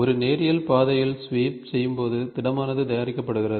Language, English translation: Tamil, So, when sweeping along a linear path is produced the solid is made